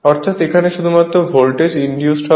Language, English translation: Bengali, So, only voltage will be induced here and here